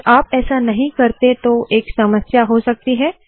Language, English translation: Hindi, If you dont do that, there will be a problem